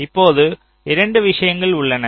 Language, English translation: Tamil, ok, now there are two things